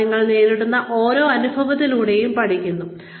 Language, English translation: Malayalam, And, you learn with every experience, that you garner